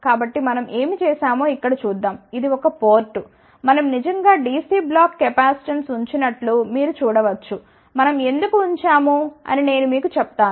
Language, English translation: Telugu, So, let us see here what we have done this is the port one, you might see that we have actually quoted DC block capacitance I will tell you that why we have quoted